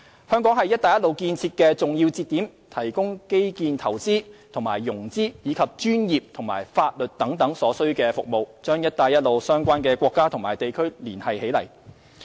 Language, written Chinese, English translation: Cantonese, 香港是"一帶一路"建設的重要節點，提供基建投資和融資，以及專業和法律等所需服務，將"一帶一路"相關國家和地區連繫起來。, As a major node of the Belt and Road Initiative Hong Kong will provide infrastructure investment and financing as well as essential professional and legal services in order to link up Belt and Road countries and regions